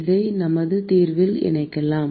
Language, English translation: Tamil, We can plug this into our solution